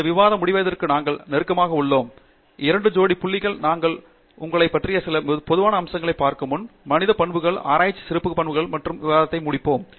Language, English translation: Tamil, We are sort of a getting closer to the conclusion of this discussion, just a couple more points, before we look at some general aspects about you know, Human characteristics, Research characteristics and then we will close this discussion